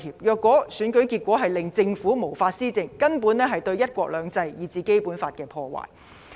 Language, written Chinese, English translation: Cantonese, 若選舉結果令政府無法施政，根本是對"一國兩制"，以至《基本法》的破壞。, If the election result renders the Government unable to govern one country two systems and even the Basic Law will actually be destroyed